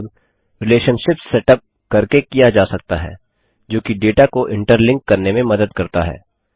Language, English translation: Hindi, All of these can be achieved by setting up relationships, which helps interlink the data